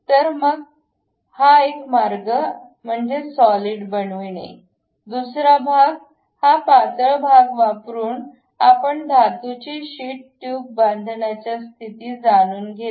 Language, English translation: Marathi, So, one way is constructing a solid one; other one is by using this thin portion, we will be in a position to construct a metal sheet tube